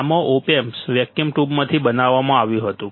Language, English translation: Gujarati, In this, the op amp was made out of vacuum tube ok, vacuum tube